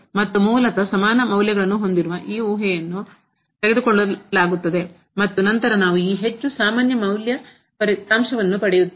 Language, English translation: Kannada, And, basically this assumption of having the equal values will be removed and then we will get more general results